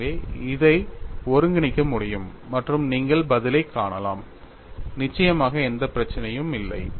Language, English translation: Tamil, So, this can be integrated and you can find the answer; absolutely there is no problem